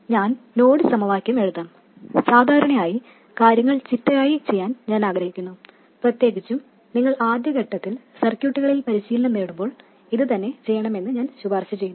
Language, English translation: Malayalam, I will write down the node equations, usually I prefer to do things systematically and I would recommend the same especially in the early stages when you are still getting practice with circuits